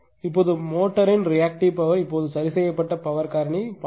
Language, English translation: Tamil, Now the reactive power of the motor at the corrected power factor now corrected power factor is 0